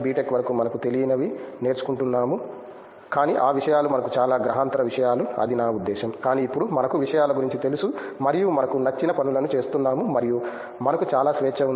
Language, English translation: Telugu, Tech we have been learning something which we are not aware of, but I mean those things are very alien things to us, but now we are aware of the things and we are doing the things which we like and we have lot of freedom